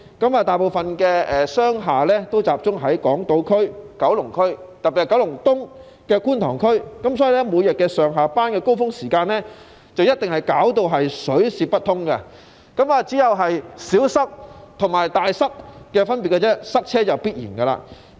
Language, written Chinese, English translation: Cantonese, 由於大部分商業大廈也集中在港島區和九龍區，特別是九龍東的觀塘區，所以，每天上下班的高峰時間，交通便一定水泄不通，有的只是"小塞"和"大塞"的分別，交通擠塞是必然的。, As commercial buildings are mostly concentrated in districts on Hong Kong Island and in Kowloon especially Kwun Tong in Kowloon East the traffic is set to be seriously congested during peak commuting hours every day . The difference lies only in whether it is a minor traffic jam or a big one for traffic congestion is definitely the order of the day